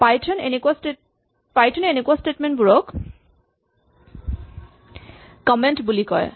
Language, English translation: Assamese, So in python, this kind of a statement is called a comment